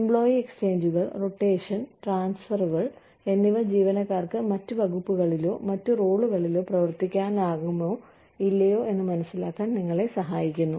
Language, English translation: Malayalam, Employee exchanges, rotation and transfers, help you understand, whether employees can function in other departments, in other roles or not